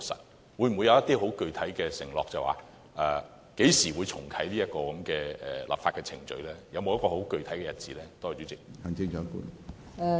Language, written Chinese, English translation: Cantonese, 政府會否作出具體的承諾，指明何時才重啟這項立法程序，有否具體的日子呢？, Can the Government make a concrete promise specifying when the legislative exercise will be re - opened? . Is there any specific date?